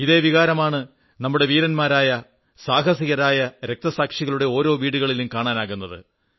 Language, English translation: Malayalam, Similar sentiments are coming to the fore in the households of our brave heart martyrs